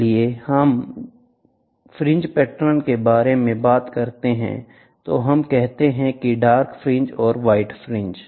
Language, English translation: Hindi, So, when we talk about fringe patterns, we say dark fringe white fringe